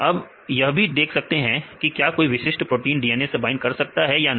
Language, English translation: Hindi, Also we can see whether a particular protein is binding a DNA or not